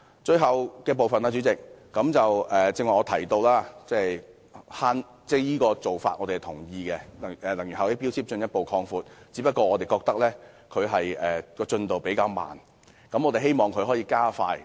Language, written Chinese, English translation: Cantonese, 最後，主席，正如我剛才提到，我們同意強制性標籤計劃應進一步擴大，只是我們覺得進度比較緩慢，希望可以加快。, Lastly President as I mentioned earlier we agree that MEELS should be extended further and the speed should be expedited as the progress is rather slow